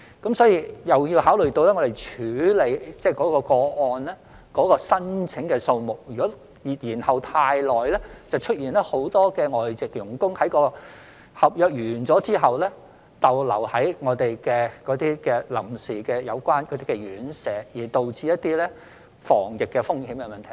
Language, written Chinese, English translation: Cantonese, 我們並要考慮到處理的個案申請數目，如果延後太久，便會出現很多外傭在合約完成後逗留在臨時院舍，因而導致防疫風險問題。, We must also consider the number of applications that we have to deal with . If the processing of applications is delayed for too long many FDHs will have to temporarily stay in boarding houses after completion of their contracts which will add to the risks of the epidemic